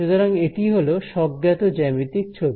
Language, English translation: Bengali, So, this is the intuitive geometric pictures